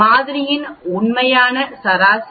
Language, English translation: Tamil, The actual mean of the sample is 24